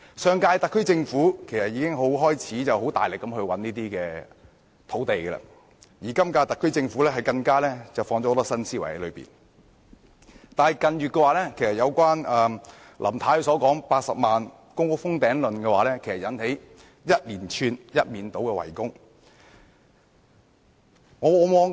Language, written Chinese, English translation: Cantonese, 上屆特區政府已開始大力覓地，而今屆特區政府更加注入了很多新思維，但近月林太提到的80萬公共租住房屋"封頂論"卻惹起一連串、一面倒的圍攻。, In its last term the SAR Government launched an ambitious effort to identify sites and in its current term it has even injected a great deal of new thinking . Nevertheless Mrs LAMs remark on capping the public rental housing PRH supply at 800 000 units in recent months has sparked a barrage of criticisms from all sides